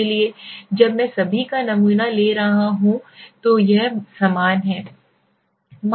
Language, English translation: Hindi, So when I am taking sample of all it is same